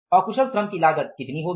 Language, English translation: Hindi, The cost of unskilled labor is going to be how much